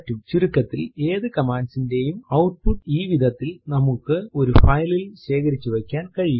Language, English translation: Malayalam, In fact we can store the output of any command in a file in this way